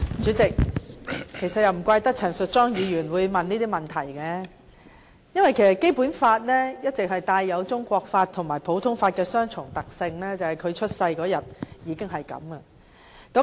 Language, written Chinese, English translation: Cantonese, 主席，其實也難怪陳淑莊議員會提出這些問題，因為《基本法》一直具備中國法和普通法的雙重特性，這由她出生那天開始已是如此。, President it is indeed no wonder that Ms Tanya CHAN would have such queries because the Basic Law has all along possessed the features of both Chinese law and common law and this has been the case since the first day of its promulgation